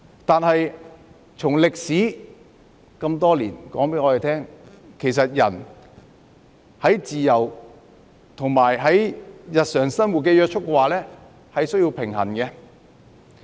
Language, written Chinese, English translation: Cantonese, 但是，這麼多年的歷史告訴我們，其實人的自由與日常生活的約束，兩者是需要平衡的。, However so many years of history are telling us that a balance has to be struck between peoples freedom and restrictions in daily lives